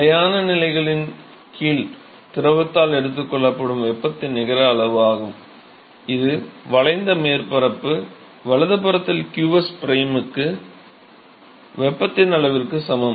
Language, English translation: Tamil, So, that is the net amount of heat that is taken up by the fluid under steady state conditions, that is also equal to the amount of heat to qs prime into the curved surface area right